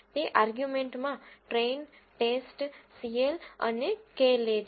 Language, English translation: Gujarati, The arguments it takes are train, test, cl and k